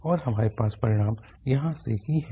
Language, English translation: Hindi, And we have the result from here